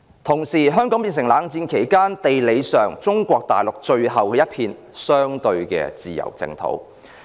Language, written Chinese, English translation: Cantonese, 同時，香港變成冷戰期間中國大陸在地理上最後一片相對自由的淨土。, Meanwhile during the Cold War Hong Kong became the last piece of land on Mainland China with relatively more freedom